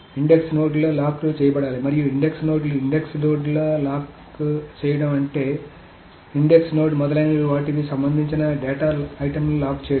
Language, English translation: Telugu, So the index nodes may need to be locked, and the index nodes, locking and index index node essentially meaning locking the data items that the index node corresponds to etc